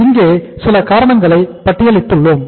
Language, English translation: Tamil, There are certain reasons we have listed out here